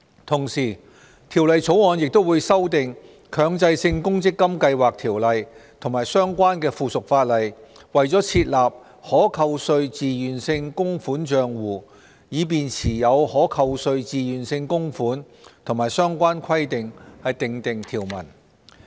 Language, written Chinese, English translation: Cantonese, 同時，《條例草案》亦會修訂《強制性公積金計劃條例》及相關附屬法例，為設立"可扣稅自願性供款帳戶"以持有可扣稅自願性供款和相關規定訂定條文。, Besides the Bill will also amend the Mandatory Provident Fund Schemes Ordinance and the related subsidiary legislation so as to provide for the establishment of TVC accounts for keeping TVCs and the related regulations